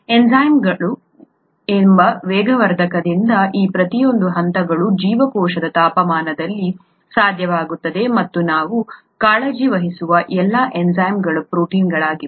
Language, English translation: Kannada, Each of these steps is made possible at the temperature of the cell because of a catalyst called enzymes, and all such enzymes that we’re concerned with, are proteins